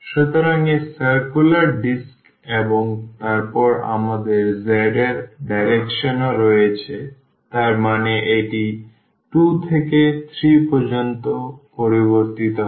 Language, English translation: Bengali, So, that is the disc circular disc and then we have in the direction of z as well; that means, it varies from 2 to 3